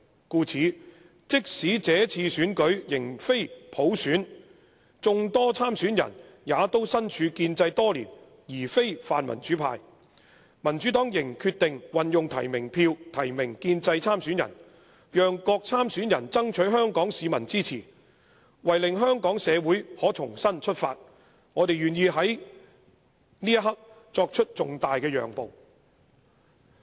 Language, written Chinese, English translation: Cantonese, 故此，即使這次選舉仍非普選，眾多參選人也都身處建制多年而非泛民主派，民主黨仍決定運用提名票提名建制參選人，讓各參選人爭取香港市民支持；為令香港社會可重新出發，我們願意在這刻作出這重大的讓步。, Hence even though this election is not conducted by means of universal suffrage and all candidates have been part of the establishment for years with none of them belonging to the pan - democratic camp the Democratic Party still nominated pro - establishment candidates to give all candidates a chance to earn the support of the people of Hong Kong . To allow Hong Kong society to start afresh we are willing to make a big compromise at this important moment